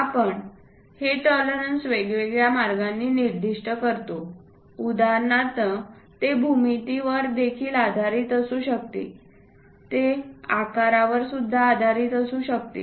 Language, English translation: Marathi, These tolerances we specify it in different ways for example, it can be based on size it can be based on geometry also